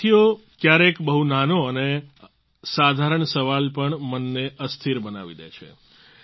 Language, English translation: Gujarati, Friends, sometimes even a very small and simple question rankles the mind